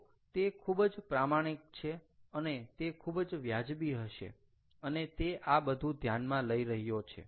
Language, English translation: Gujarati, so he is being very honest, he is going to being very fair and he is considering all this